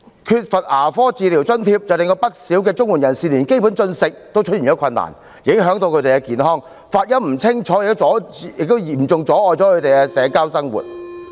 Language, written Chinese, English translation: Cantonese, 缺乏牙科治療津貼則令不少綜援人士連基本進食也有困難，影響他們的健康，發音不清楚亦嚴重阻礙他們的社交生活。, The lack of a grant for dental treatment has even caused difficulties to many CSSA recipients in normal eating affecting their health . Speech impairment has also seriously hindered their social life